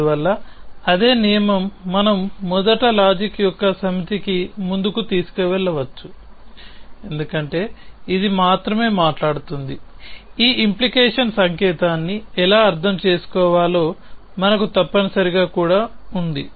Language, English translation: Telugu, Thus, same rule we can carry forward to first set of logic because it is only talking about, how to interpret this implication sign essentially even that we have essentially